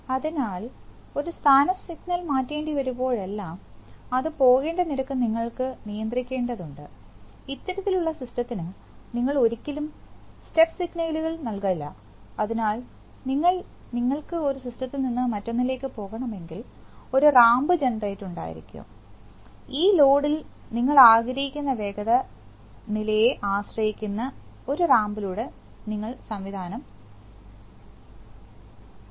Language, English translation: Malayalam, So therefore whenever a position signal has to be changed, sometimes you need to control the rate at which it should go, you never give step signals generally to this kind of system, so you have a ramp generator if you want to go from one system to another you go slowly through a ramp which depends on the velocity level that you want to have on this load